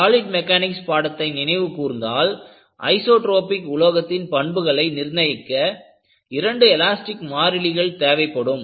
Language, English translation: Tamil, And, if you really recall your understanding of solid mechanics, you need two elastic constants to characterize the isotropic material